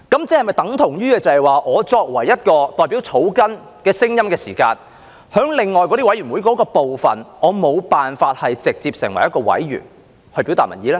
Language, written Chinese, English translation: Cantonese, 這安排等同我作為議員代表草根的聲音，我沒有辦法在另外那些委員會直接成為一名委員來表達民意。, This arrangement renders me a Member representing the grass roots unable to directly serve on some other committees to express public opinion